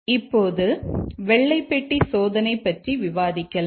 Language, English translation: Tamil, Now let's discuss about white box testing